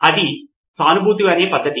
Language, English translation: Telugu, This is a method called empathise